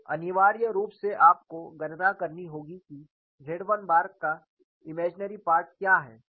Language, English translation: Hindi, So, essentially you will have to calculate, what is the imaginary part of Z 1 bar